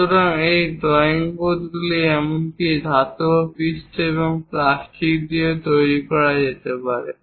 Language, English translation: Bengali, So, these drawing boards can be made even with metallic surfaces and also plastics